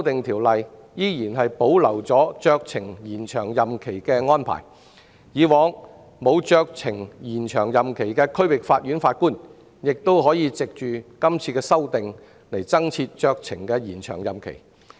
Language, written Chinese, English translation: Cantonese, 《條例草案》保留酌情延長任期的安排，以往不能酌情延長任期的區域法院法官亦可藉今次修訂酌情延長任期。, Under the Bill the discretionary extension arrangements are maintained and expanded to cover District Judges so that after this legislative amendment their terms of office can be extended on a discretionary basis